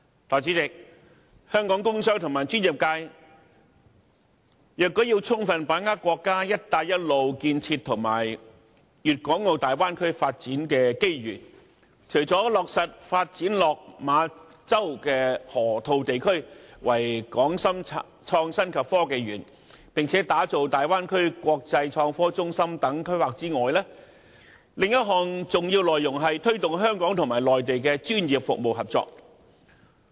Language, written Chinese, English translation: Cantonese, 代理主席，香港工商和專業界若要充分把握國家"一帶一路"建設和大灣區發展的機遇，除了落實發展落馬洲河套地區為"港深創新及科技園"，並打造大灣區國際創科中心等規劃外，另一項重要內容是推動香港和內地的專業服務合作。, Deputy President to fully capitalize on the opportunities brought by the national Belt and Road Initiative and the development of the Guangdong - Hong Kong - Macao Bay Area the business and professional sectors in Hong Kong should develop the Lok Ma Chau Loop into the Hong Kong - Shenzhen Innovation and Technology Park and establish an international innovation and technology hub in the Bay Area . Another important task is to promote professional service cooperation between Hong Kong and the Mainland